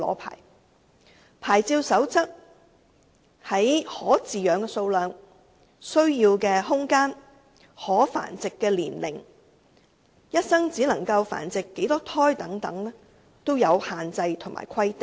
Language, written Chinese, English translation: Cantonese, 牌照守則在可飼養寵物的數量、需要的空間、可繁殖的年齡、一生只能繁殖多少胎等方面均有限制及規定。, The relevant provisions will set out the restrictions and requirements in respect of the number of dogs that can be kept the required space the age for breeding and the number of litters a dog can have in a lifetime